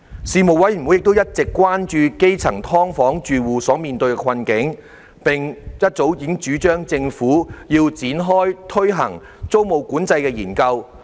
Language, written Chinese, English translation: Cantonese, 事務委員會一直關注基層"劏房"住戶所面對的困境，並早已主張政府應展開推行租務管制的研究。, The plight of the grassroots residing in subdivided units has been a subject of concern of the Panel . We advised the Government since long time ago to initiate study on introducing tenancy control